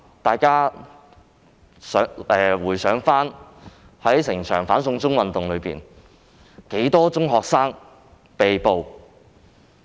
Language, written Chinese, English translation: Cantonese, 大家試回想，在整個"反送中"運動中共有多少名中學生被捕？, Can Members still recall how many secondary school students have been arrested throughout the anti - extradition to China movement?